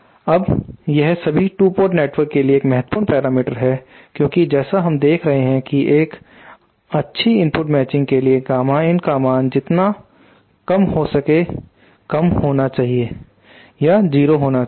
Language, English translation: Hindi, Now this is a important parameter for all 2 port networks because as we saw that for good input matching this gamma m should be as low as possible preferably 0